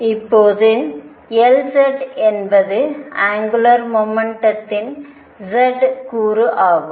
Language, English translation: Tamil, And now L z is z component of L angular momentum